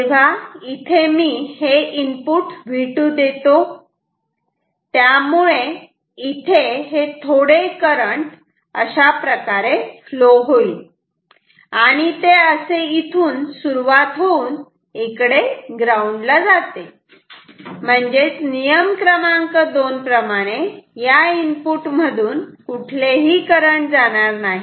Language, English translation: Marathi, So, I am giving input V 2 here and so, therefore, some current will flow and it will flow like this, it will start from here and will go to ground, no current can go through this input that is rule number 2 right